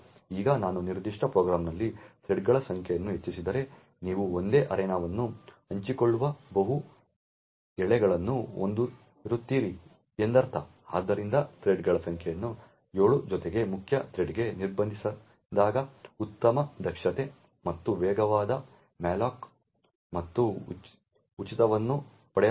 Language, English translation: Kannada, Now if I increase the number of threads in that particular program then it would mean that you would have multiple threads sharing the same arena, now therefore best efficiency and fastest malloc and frees are obtained when the number of threads are restrict to7 plus the main thread so therefore 8